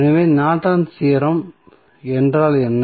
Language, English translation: Tamil, So, what does Norton's Theorem means